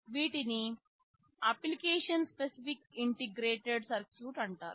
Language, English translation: Telugu, These are called application specific integrated circuit